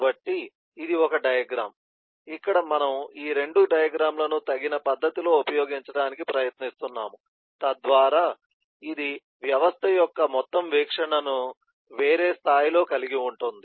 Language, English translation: Telugu, so this is one diagram where we are trying to use both of these diagrams at an appropriate manner so that it can have a total view of the system at a different level